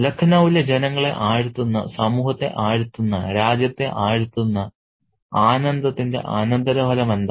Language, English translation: Malayalam, So, what is the consequence of the pleasure that is drenching the surface of the country, drenching the society, drenching the people in Lucknow